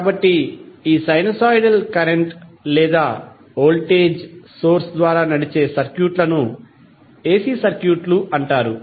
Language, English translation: Telugu, So, the circuit driven by these sinusoidal current or the voltage source are called AC circuits